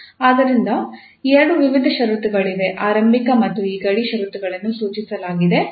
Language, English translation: Kannada, So there are two types of boundary, initial and these boundary conditions are prescribed